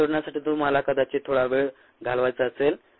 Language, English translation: Marathi, you might want to spend some time and solving this